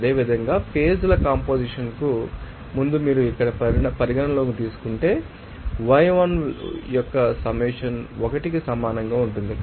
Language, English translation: Telugu, And also similarly, if you consider that here before phase composition, then summation of yi will be equal to 1